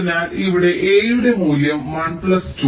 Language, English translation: Malayalam, ok, so the value of a here will be one plus two